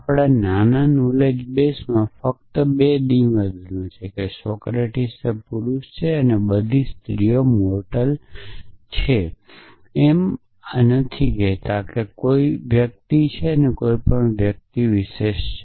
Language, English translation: Gujarati, The knowledge base has only 2 statements in our small knowledge base that Socrates is the man and that all women are mortal a knowledge base does not say that any one is mortal any specific individual is mortal